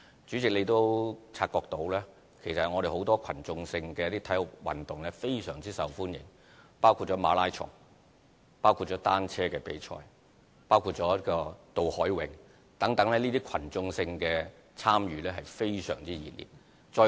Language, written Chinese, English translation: Cantonese, 主席，你也察覺到其實很多群眾性的體育運動均非常受歡迎，包括馬拉松、單車比賽、渡海泳等，這些群眾性的參與均非常熱烈。, President you may also notice that many mass sports events are actually very popular including Hong Kong Marathon Hong Kong Cyclothon and the Cross Harbour Race . All these events can draw active participation from the general public